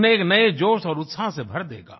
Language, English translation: Hindi, It will infuse afresh energy, newer enthusiasm into them